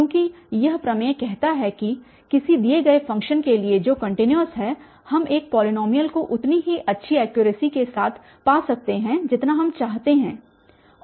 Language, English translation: Hindi, Because this theorem says that for any given function which is continuous, we can find a polynomial with as good accuracy as we want